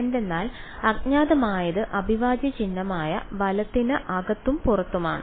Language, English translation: Malayalam, because the unknown is both inside and outside the integral sign right